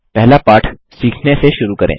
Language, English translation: Hindi, Let us start by learning the first lesson